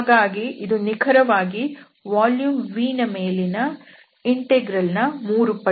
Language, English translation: Kannada, So, this is exactly the 3 times this integral over the volume V